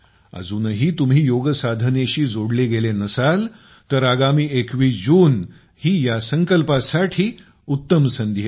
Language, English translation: Marathi, If you are still not connected with yoga, then the 21st of June is a great opportunity for this resolve